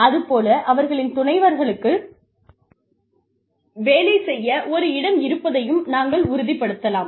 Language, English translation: Tamil, We may also ensure that, their spouses have a place to work